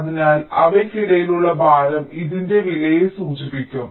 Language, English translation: Malayalam, so the weight between them will indicate the cost of this